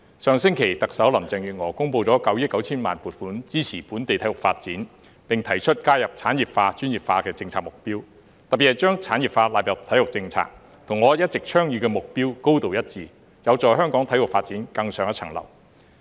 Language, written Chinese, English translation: Cantonese, 上星期特首林鄭月娥公布了9億 9,000 萬元撥款支持本地體育發展，並提出加入產業化、專業化的政策目標，特別是將產業化納入體育政策，與我一直倡議的目標高度一致，有助香港體育發展更上一層樓。, Last week Chief Executive Carrie LAM announced a funding of 990 million to support the development of sports in Hong Kong and proposed the inclusion of industrialization and professionalization as policy objectives and particularly the inclusion of industrialization in the sports policy which is highly consistent with the goals I have been advocating and will help take the sports development in Hong Kong to the next level